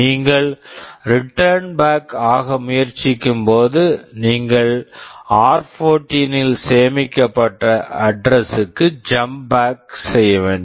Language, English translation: Tamil, And when you are trying to return back, you will have to jump back to the address that is stored in r14